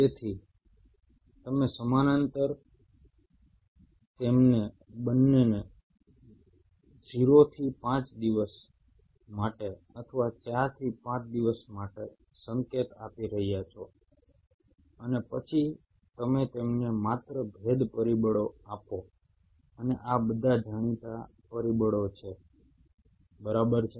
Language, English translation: Gujarati, So you are parallel giving them both the signals, say for 0 to 5 days or 4 to 5 days, and then you only give them differentiation factors